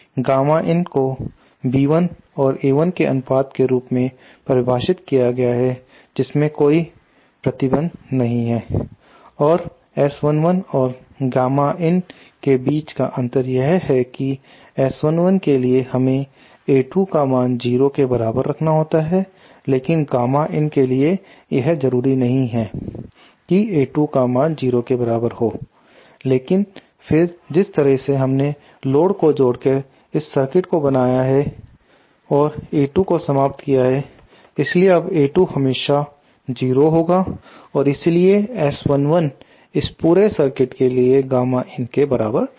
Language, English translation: Hindi, gamma in is defined as B 1 upon A 1 with no restriction the difference between gamma in and S 1 1 is that for gamma S 1 1 we have to have A 2 equal to 0 but for gamma in it is not necessary for A to equal to 0, but then the way we have made this circuit by connecting this load we have eliminated A 2 so now A 2 will always be 0 and therefore S 1 1, will S 1 1 for this circuit will be equal to the gamma in for this whole circuit